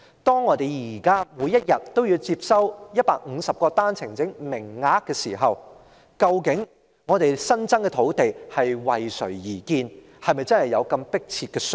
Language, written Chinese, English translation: Cantonese, 當我們現時每日要接收150個單程證名額時，我們新增的土地究竟是為誰而建，是否真的有迫切需要呢？, As we are receiving 150 new arrivals every day under the One - way Permit Scheme at present for whom is the new land created and is there really a pressing need to do so?